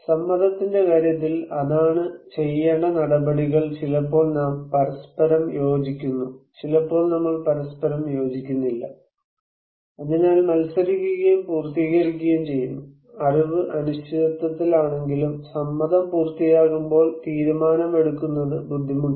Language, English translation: Malayalam, In case of consent, that is what actions to be taken is sometimes we agreed with each other, sometimes we do not agree with each other so, contested and complete, when knowledge is uncertain, but consent is complete, decision making is difficult